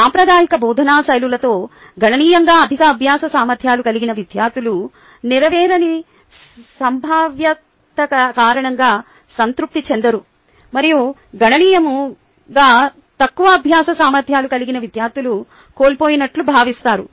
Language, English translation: Telugu, with traditional instruction instruction styles, the students with significantly high learning abilities are not satisfied due to a feeling of unfulfilled potential, and students with significantly low learning abilities feel lost